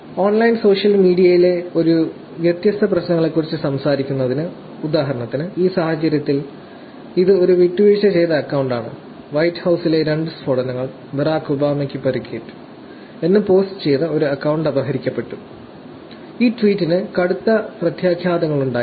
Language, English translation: Malayalam, Telling you about different issues on online social media, for example, in this case, it is compromised account; an account was compromised, where the post said ‘Two explosions in White House and Barrack Obama injured’, and, there was, there was after effects of this tweet